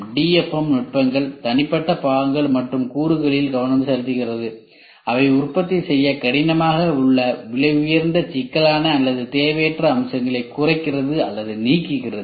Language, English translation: Tamil, DFM techniques are focused on individual parts and components with a goal of reducing or eliminating expensive complex or unnecessary features which would make them difficult to manufacture